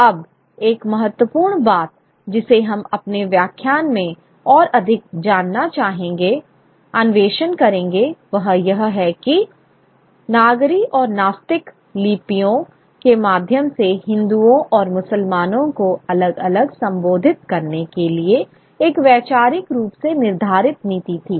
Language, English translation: Hindi, Now one important point and we should explore this point a little bit more later on in the lecture is that there was an ideologically determined policy already to address Hindus and Muslims separately through Nagri and Nasthalik script